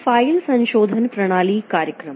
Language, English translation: Hindi, File modification system programs